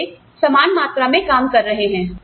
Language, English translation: Hindi, So, they are putting in the same amount of the work